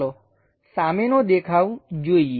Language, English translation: Gujarati, Let us look at front view